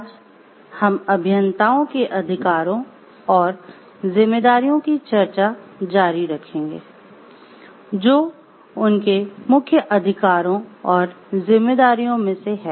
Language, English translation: Hindi, Today we will continue with the discussion of the rights and responsibilities of engineers, which of the central rights and responsibilities